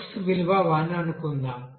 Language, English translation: Telugu, Suppose that you know that x value is 1